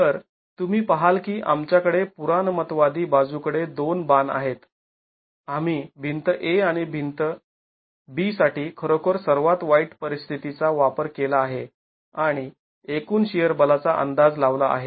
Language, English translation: Marathi, So you see that we have to to err on the conservative side we have actually used the worst case situation for both Wall A and Walby and estimated the total shear force